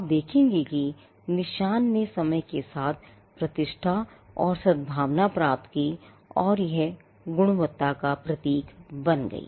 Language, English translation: Hindi, You will see that, marks over a period of time gained reputation and goodwill and it become a symbol and it became a symbol of quality